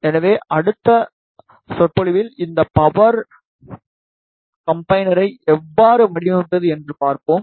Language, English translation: Tamil, So, in the next lecture, we will see how to design this power combiner